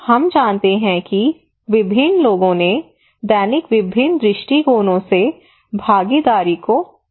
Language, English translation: Hindi, We have a lot of understanding of that various people understood participations from daily various perspective